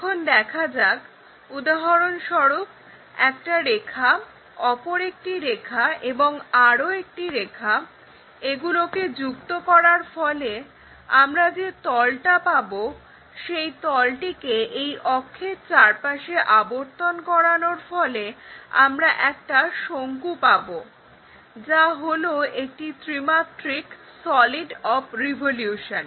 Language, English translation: Bengali, For example, a line another line, and another line, if we join that whatever the plane we get that plane if we are revolving around this axis, then we will end up with a cone a three dimensional solids of revolution we will having